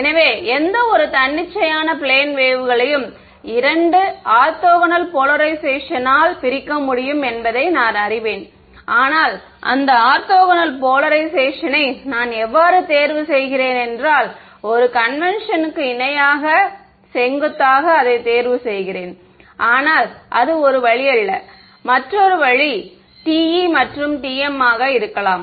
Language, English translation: Tamil, So, I know that any arbitrary plane wave can be broken up into two orthogonal polarizations, but how I choose those orthogonal polarization that is up to me, one convention is parallel perpendicular, but that is not the only way, another way could be TE and TM